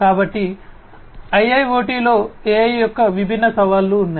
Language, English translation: Telugu, So, there are different challenges of AI in IIoT